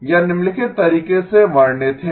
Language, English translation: Hindi, It is described in the following way